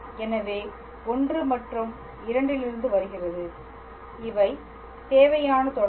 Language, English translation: Tamil, So, from I and from II, these are the required relations